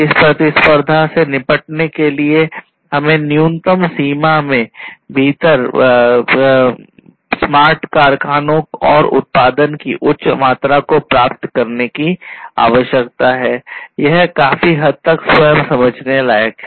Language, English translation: Hindi, So, we have highly competitive market in order to deal with this competitiveness, we need to have the smart factories and high amount of production within minimum timeline and this is quite self understood I do not need to elaborate this